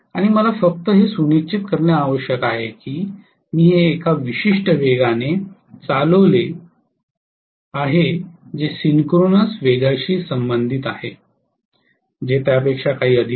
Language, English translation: Marathi, And I have to only make sure that I run it at a particular speed which is corresponding to synchronous speed that is about it nothing more than that